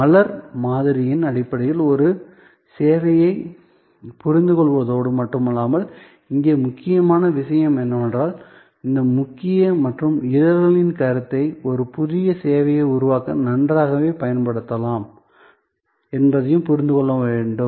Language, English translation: Tamil, And the important thing here in addition to understanding a service in terms of the flower model, the important thing here is to also understand that these core and petal concept can be used very well to create a new service